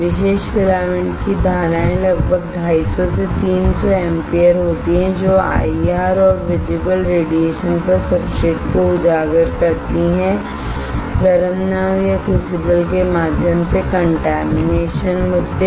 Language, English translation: Hindi, Typical filament the currents are about 250 to 300 ampere exposes substrates to IR and visible radiation, contamination issues through heated boat or crucible